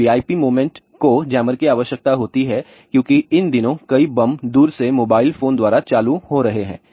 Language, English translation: Hindi, Now, VIP movement is require jammer because these days many of the bombs are getting triggered by remotely mobile phone